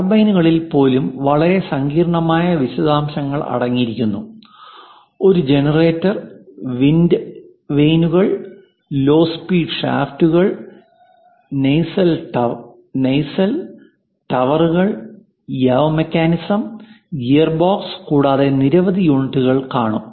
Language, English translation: Malayalam, Which contains very complicated details even for the turbine something like a generator, wind vanes, low speed shafts, nacelle, towers, yaw mechanism, gearbox and many units, each unit has to be assembled in a proper way also